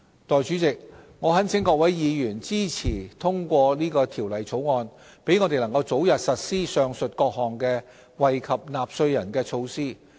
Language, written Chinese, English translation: Cantonese, 代理主席，我懇請各位議員支持通過《條例草案》，讓我們能早日實施上述各項惠及納稅人的措施。, Deputy President I urge Members to support the passage of the Bill so that we can expeditiously implement the aforementioned measures that will benefit taxpayers